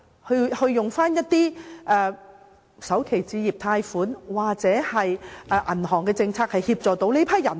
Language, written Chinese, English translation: Cantonese, 可否再透過首置貸款或銀行的政策協助這些人？, Can it provide assistance to these people by reintroducing a home starter loan scheme or a banking policy?